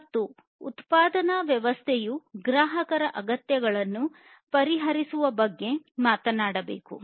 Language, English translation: Kannada, And the production system should talk about only addressing the customers’ needs